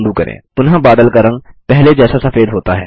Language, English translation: Hindi, The colour of the cloud reverts to white, again